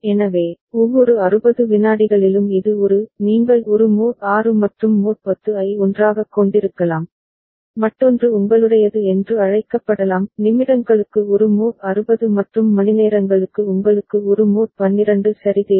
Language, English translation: Tamil, So, every 60 seconds so it is a you can have a mod 6 and mod 10 together right and another could be your what is it called for minutes also a mod 60 and for hours you need a mod 12 ok